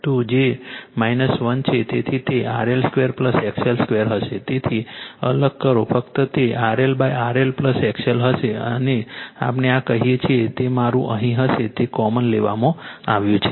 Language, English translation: Gujarati, So, just separate it it will be RL upon RL plus XL square and this one your what we call this will be yourmy here it is taken common